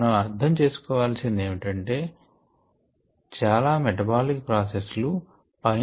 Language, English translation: Telugu, what one needs to understand is that very many metabolic processes contribute the above